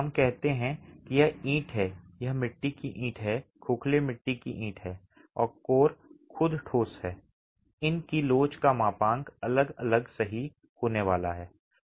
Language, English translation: Hindi, They are all of different, let's say this is clay, this is clay brick, hollow clay brick and the core is concrete itself, the modulus of elasticity of these are going to be different, right